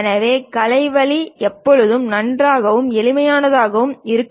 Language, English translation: Tamil, So, the artistic way always be nice and simple